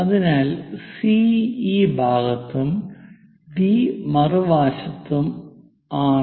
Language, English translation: Malayalam, So, C is on this side, D is on the other side